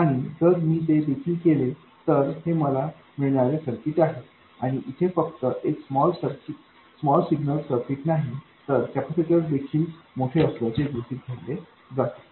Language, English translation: Marathi, And if I do that as well, this is the circuit I get and here it is not just the small signal circuit, the capacitors are also assumed to be large